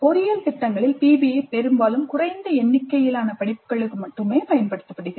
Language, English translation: Tamil, PBI in engineering programs is often limited to a small number of courses